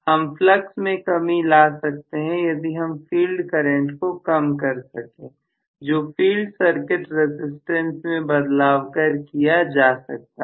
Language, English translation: Hindi, So I will be able to reduce the flux by reducing the field current, by including additional value of field circuit resistance